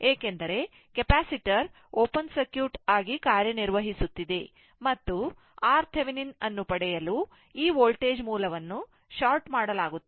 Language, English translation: Kannada, Because, capacitor is acting as open circuit right and this for getting R Thevenin, this voltage source will be shorted right